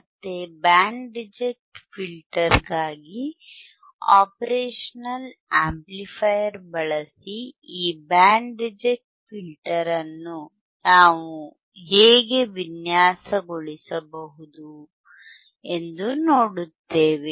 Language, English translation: Kannada, Again, for band reject filter, we will see how we can design this band reject filter using operational amplifier